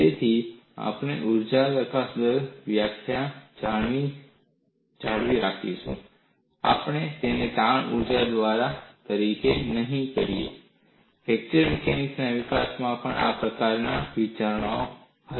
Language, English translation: Gujarati, So, we will retain the definition as energy release rate; we will not call this as strain energy release rate; that kind of thinking was also there in the development of fracture mechanics